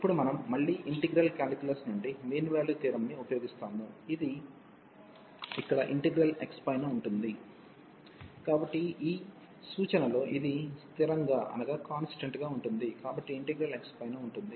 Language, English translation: Telugu, And now we will use the again the mean value theorem from integral calculus, which says that this here because the integral is over x, so this like a constant in this reference, so integral is over x